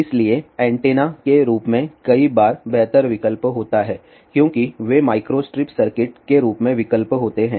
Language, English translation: Hindi, So, there many a times better option as an antenna then they are options as micro strip circuit